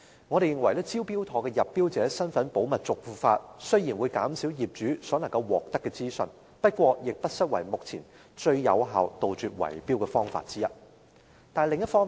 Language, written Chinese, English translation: Cantonese, 我們認為"招標妥"將入標者身份保密的做法，雖然會減少業主可獲得的資訊，但也不失為當下杜絕圍標最有效的方法之一。, In our opinion though Smart Tender keeps the identity of tenderers in secret and thus reduces the amount of information available to property owners it indeed is currently the best way to eradicate tender rigging